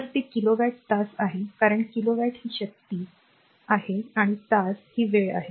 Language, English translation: Marathi, So, that is kilowatt hour, because kilowatt is the power and hour is the time